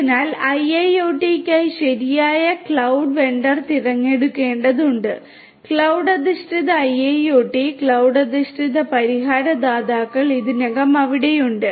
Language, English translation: Malayalam, So, it is required to choose the right cloud vendor for IIoT, there are different; different cloud based IIoT cloud based solution providers that are already there